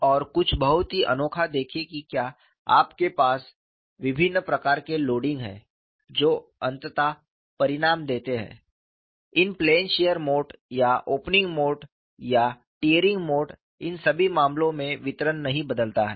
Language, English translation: Hindi, And something very unique see if you have a different types of loading with finally result in plane shear mode or opening mode or tearing mode in all these cases the distribution does not change